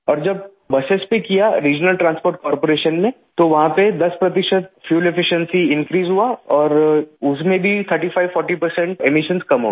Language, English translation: Hindi, When we tested on the Regional Transport Corporation buses, there was an increase in fuel efficiency by 10 percent and the emissions reduced by 35 to 40 percent